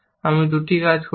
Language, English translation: Bengali, I have done two actions